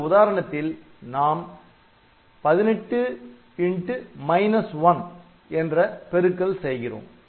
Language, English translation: Tamil, So, this is a typical example say suppose we want to multiply 18 by minus 1